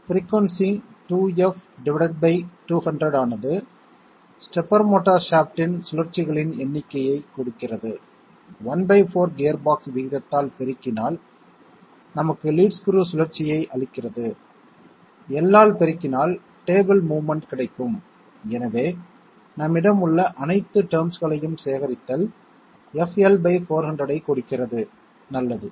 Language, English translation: Tamil, The frequency is twice F divided by 200 gives us the number of rotations of the stepper motor shaft multiplied by the gearbox ratio one fourth gives us the lead screw rotation multiplied by L gives us the table movement therefore, collecting all the terms we have FL by 400 that is good